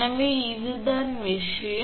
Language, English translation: Tamil, So, that is this thing